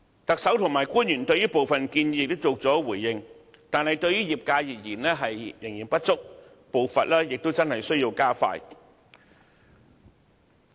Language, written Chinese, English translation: Cantonese, 特首和官員對部分建議亦曾作出回應，但對業界而言，仍然不足，步伐需要加快。, Though the Chief Executive and officials have responded to some of the proposals the sectors consider that the support is still not enough and the pace has to be hastened